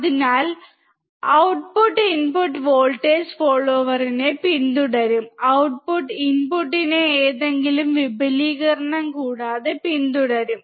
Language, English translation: Malayalam, So, output will follow the input voltage follower, output will follow the input without any amplification